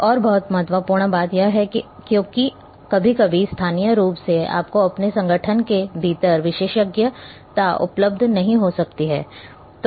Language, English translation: Hindi, Another very important thing is that because sometimes locally you may not be having expertise available within your organization